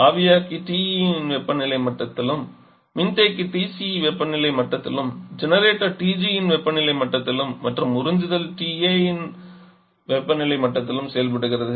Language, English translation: Tamil, Let us say the evaporator is working at a temperature level of TE and condenser at temperature TC generator is working temperature of TG and evaporation sorry the absorption is working and temperature of TA